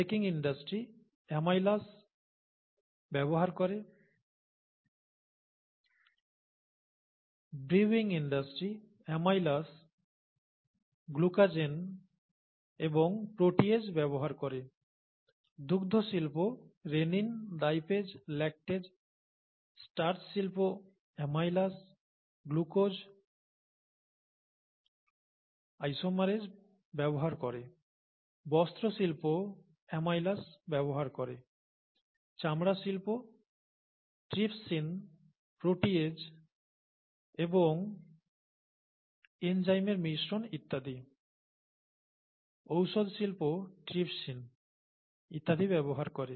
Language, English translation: Bengali, Baking industry uses amylases; brewing industry uses amylases, glucanases and proteases; dairy industry, rennin, lipases, lactases; starch industry uses amylases, glucose isomerase; textile industry uses amylase; leather industry, trypsin, protease and cocktails of enzymes and so on; pharmaceuticals, trypsin and so on, okay